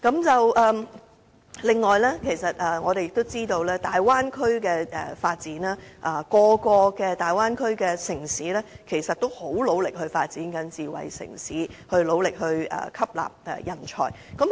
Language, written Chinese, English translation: Cantonese, 此外，我們也知道，在大灣區的發展中，大灣區內每一個城市也很努力地發展智慧城市及吸納人才。, Moreover as we know in the development of the Bay Area each and every city in the Bay Area is putting in a lot of efforts to develop into a smart city and absorb talents